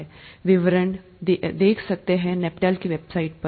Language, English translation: Hindi, You can look at the details in the NPTEL website